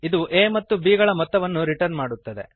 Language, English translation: Kannada, It returns sum of a and b